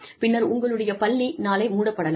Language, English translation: Tamil, And, your school could be shut down, tomorrow